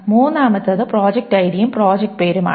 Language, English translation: Malayalam, The first table contains ID, project ID and ours